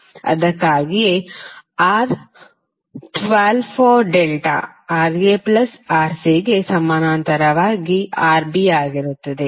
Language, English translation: Kannada, So that is why, R1 2 for delta would be Rb in parallel with Ra plus Rc